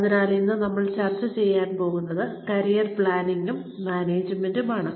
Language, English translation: Malayalam, So, today, we are going to discuss, Career Planning and Management